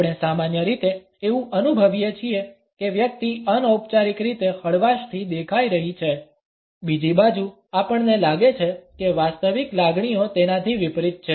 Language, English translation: Gujarati, We normally may feel that the person is looking as a relaxed open an informal one, on the other hand we feel that the actual emotions are just the opposite